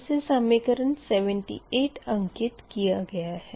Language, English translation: Hindi, this is equation eighty